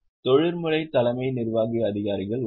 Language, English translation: Tamil, There are professional CEOs